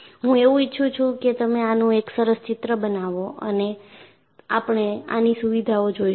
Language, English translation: Gujarati, I would like you to make a neat sketch of it and we will look at these features